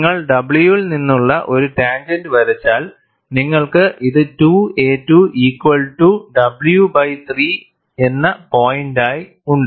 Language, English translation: Malayalam, And if you draw a tangent from w, you have this as the corresponding point as 2 a 2 equal to w by 3